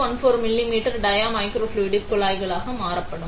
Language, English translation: Tamil, 14 millimetre dia microfluidic tubes